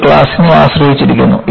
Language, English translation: Malayalam, It depends on the class